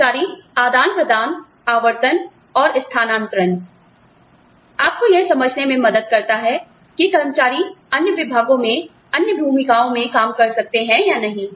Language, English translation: Hindi, Employee exchanges, rotation and transfers, help you understand, whether employees can function in other departments, in other roles or not